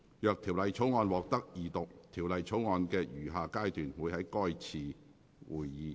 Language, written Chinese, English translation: Cantonese, 若條例草案獲得二讀，條例草案的餘下階段會在該次會議進行。, If the Bill receives Second Reading its remaining stages will be proceeded with at that meeting